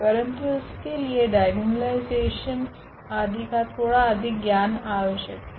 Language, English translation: Hindi, But, it is it requires little more knowledge of a diagonalization etcetera